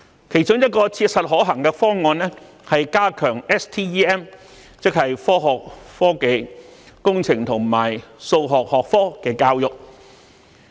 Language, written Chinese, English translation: Cantonese, 其中一個切實可行的方案是，加強科學、科技、工程和數學相關學科的教育。, One of the practical proposals is to strengthen education in STEM subjects namely Science Technology Engineering and Mathematics